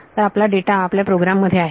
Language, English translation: Marathi, So, now, all your data is in your program